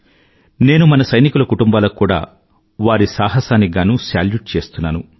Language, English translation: Telugu, I also salute the families of our soldiers